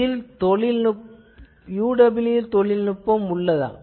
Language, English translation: Tamil, So, can it have that UWB technology